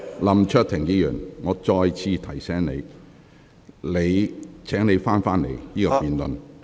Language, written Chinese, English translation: Cantonese, 林卓廷議員，我再次提醒你，請你返回這項辯論的議題。, Mr LAM Cheuk - ting let me remind you again to come back to the question of this debate